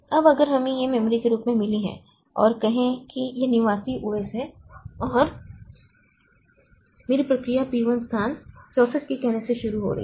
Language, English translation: Hindi, Now, if we have got this as the memory and say this is the resident OS and my process P1 is starting from say the location 64K